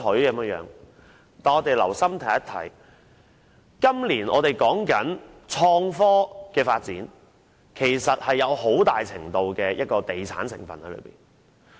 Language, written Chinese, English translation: Cantonese, 但是，只要留心看看，便可發現今年提出的創科發展措施其實含有很大程度的地產項目成分。, However if we take a closer look we can see that the measures proposed this year on innovation and technology development are to largely and essentially real estate projects